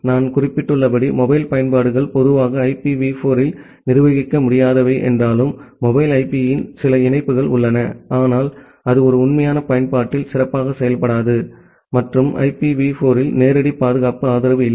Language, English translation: Tamil, And as I have mentioned that, mobile applications are in general unmanageable in IPv4 although, there are certain patch of mobile IP but that does not perform good in a real application and there is no direct security support in IPv4